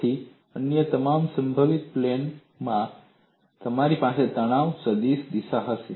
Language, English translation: Gujarati, So, in all other possible planes, you will have a direction of the stress vector